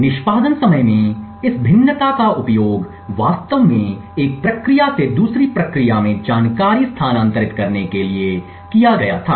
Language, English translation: Hindi, This variation in execution time was used to actually transfer information from one process to another